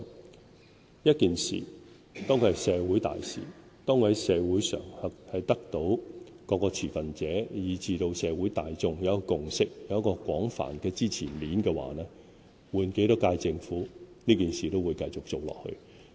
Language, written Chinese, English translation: Cantonese, 當一件社會大事在社會上得到各持份者以至社會大眾的共識，有廣泛支持面，不論換多少屆政府，這件事都會繼續做下去。, As long as the decision on a major social issue is based on a widely supported consensus among all stakeholders in society and the community at large it will be implemented continuously regardless of how many times the Government has changed hands